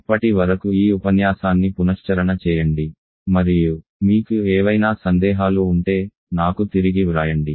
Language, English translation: Telugu, So till then just revise this lecture and if you have any query right back to me, Thank you